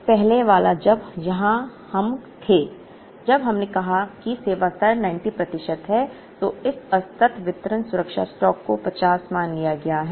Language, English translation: Hindi, Now, the first one when we were here when we said the service level is 90 percent, assuming this discrete distribution safety stock was 50